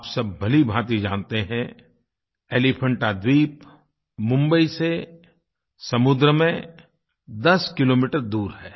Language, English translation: Hindi, You all know very well, that Elephanta is located 10 kms by the sea from Mumbai